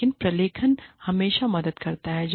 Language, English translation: Hindi, But, documentation always helps